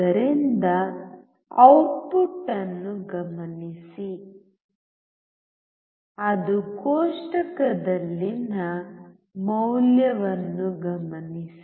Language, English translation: Kannada, So, observe the output and note down the value in the table